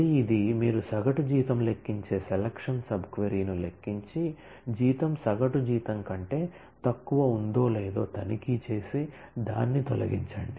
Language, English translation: Telugu, Again this is; so, you compute the selection sub query which computes the average salary and check if the salary is less than the average salary and delete that